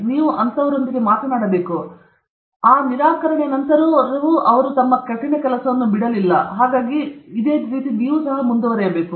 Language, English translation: Kannada, You have to talk to them, but the thing is even after this rejection and all that, they are not giving up; you should continue